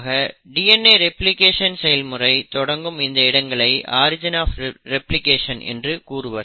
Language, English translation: Tamil, Now these regions where the DNA replication starts is called as origin of replication, okay